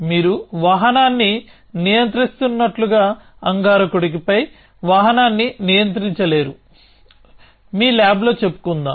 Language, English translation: Telugu, You cannot control vehicle on mars as you would be controlling a vehicle, let us say in your lab